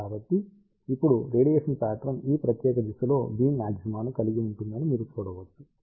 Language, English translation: Telugu, So, you can see that now the radiation pattern has beam maxima in this particular direction